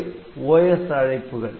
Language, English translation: Tamil, So, these are the OS requests